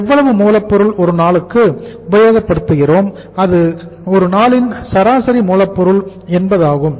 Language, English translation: Tamil, How much raw material we have committed per day that is average raw material committed per day